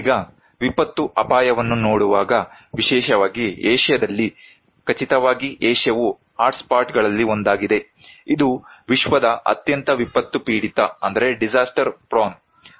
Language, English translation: Kannada, Now, looking at disaster risk, particularly in Asia that is for sure that Asia is one of the hotspot, it is one of the most disaster prone region in the world